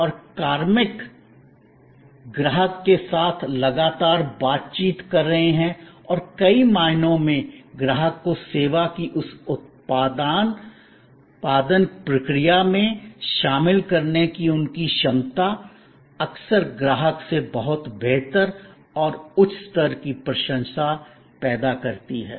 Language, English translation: Hindi, And the personnel are in constant interaction with the customer and in many ways, their ability to involve the customer in that production process of the service often creates a much better and higher level of appreciation from the customer